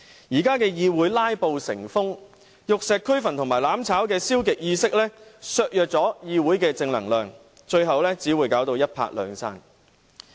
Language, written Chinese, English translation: Cantonese, 現在的議會"拉布"成風，玉石俱焚和"攬炒"的消極意識削弱了議會的正能量，最後只會一拍兩散。, At present the legislature is plagued by prevalent filibustering and the pessimistic mentality of perishing together has weakened the positive energy in the legislature . Both sides will only fail to achieve anything in the end